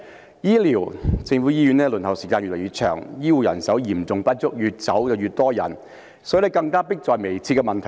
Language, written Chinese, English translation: Cantonese, 在醫療方面，公立醫院輪候時間越來越長，醫護人手嚴重不足，越來越多醫護人員離開。, In the area of health care the waiting time in public hospitals grows longer an acute shortage of health care staff exists and more and more of them quit their jobs